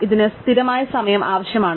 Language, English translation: Malayalam, It takes constant time